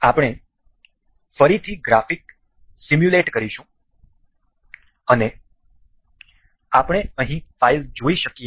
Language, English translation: Gujarati, We will again simulate the graphics and we can see the file over here